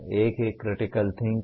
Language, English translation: Hindi, One is Critical Thinking